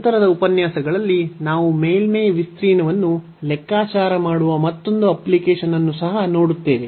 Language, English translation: Kannada, In later lectures we will also see another application where we can compute the surface area as well